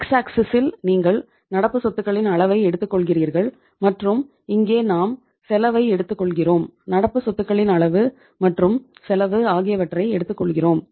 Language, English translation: Tamil, On the x axis you take the level of current assets so in this case uh level of current assets and here we take the uh we we take the cost, level of current assets and the cost